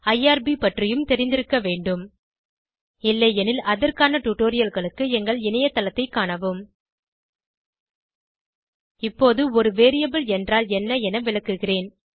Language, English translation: Tamil, You must also be familiar with irb If not, for relevant tutorials, please visit our website Now I will explain what a variable is